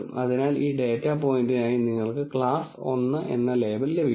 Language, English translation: Malayalam, So, you will get a label of class 1 for this data point